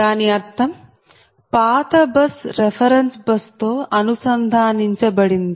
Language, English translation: Telugu, so that means that means that old bus connected to the reference bus